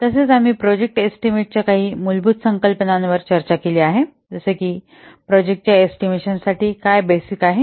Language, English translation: Marathi, Today we will discuss about a little bit of project planning and basics of project estimation